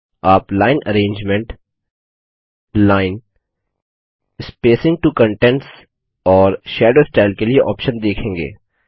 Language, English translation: Hindi, You will see the options for Line arrangement, Line, Spacing to contents and Shadow style